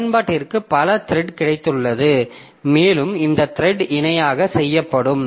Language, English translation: Tamil, So, application has got multiple thread and these threads will run in parallel